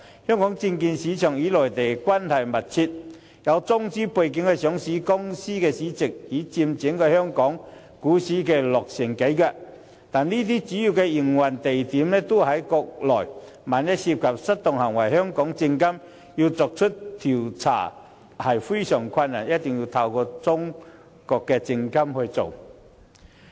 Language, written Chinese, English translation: Cantonese, 香港證券市場與內地關係密切，有中資背景的上市公司市值已佔整體香港股市超過六成，但這些公司的主要營運地點均在國內，萬一涉及失當行為，香港證監會很難調查，必須透過中國證監會處理。, The market value of listed Chinese enterprises accounts for over 60 % of Hong Kongs stock market but these enterprises primarily operate on the Mainland . In case of misconduct it will be very difficult for SFC to conduct any investigation . The China Securities Regulatory Commission CSRC must be involved